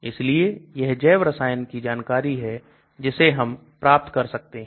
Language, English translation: Hindi, So that is sort of biochemistry related information we can do